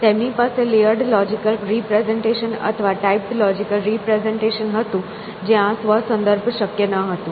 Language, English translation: Gujarati, So, they had layered logical representation or typed logical representation where self reference would not be possible